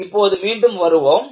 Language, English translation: Tamil, Now, let us come back